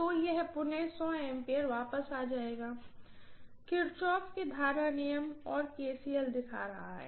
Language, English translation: Hindi, So this will be returning again 100 ampere, Kirchhoff current law, and just showing KCL that is it, fine